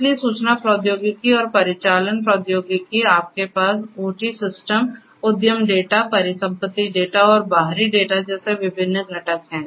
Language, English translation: Hindi, So, information technology and operational technology so, you have different components such as the OT systems, the enterprise data, asset data and external data